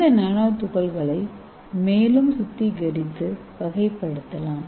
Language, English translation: Tamil, So this nanoparticles can be further purified and characterized